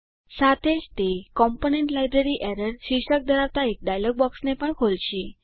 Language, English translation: Gujarati, It will also open a dialog box titled Component Library Error